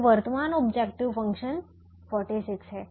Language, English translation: Hindi, so the present objective function is forty six